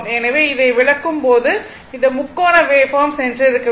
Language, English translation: Tamil, So, while ah explaining this one ah this triangular waveform, I should have gone